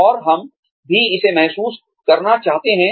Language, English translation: Hindi, And, we also want to feel, good about it